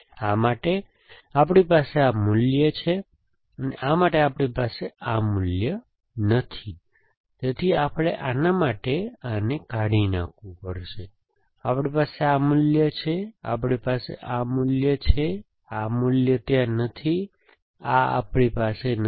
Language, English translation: Gujarati, For this, we have this value, for this we do not have this value, so we have to delete this for this, we have this value for this, we have this value, anyway this is not there, for this we do not have this value, so we have to delete this